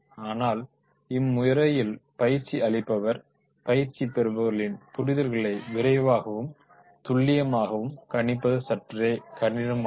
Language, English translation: Tamil, Lectures also make it difficult for the trainer to judge quickly and efficiently the learner's level of understanding